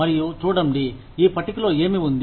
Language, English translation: Telugu, And see, what is there, in this table